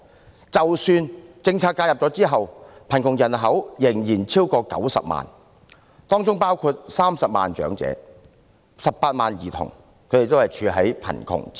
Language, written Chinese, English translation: Cantonese, 即使在採取政策措施介入後，貧窮人口仍然超過90萬人，當中包括30萬名長者及18萬名兒童活於貧窮之中。, Even after the intervention of policy initiatives the number of people living in poverty still exceeds 900 000 and it includes 300 000 elderly people and 180 000 children